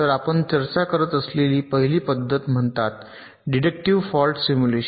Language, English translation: Marathi, so the first method that we discussed is called deductive fault simulation